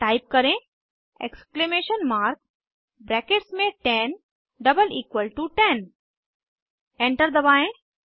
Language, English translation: Hindi, Type Exclamation mark within brackets 10 double equal to 10 Press Enter